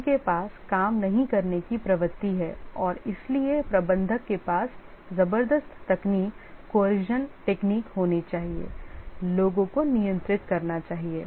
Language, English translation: Hindi, They have a tendency to ledge around not work and therefore the manager needs to have coercive techniques, control the people